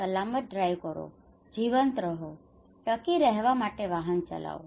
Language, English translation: Gujarati, Safe drive, Stay alive, drive to survive